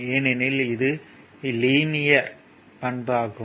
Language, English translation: Tamil, Because it is a linear characteristic